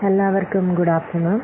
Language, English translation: Malayalam, Good afternoon to all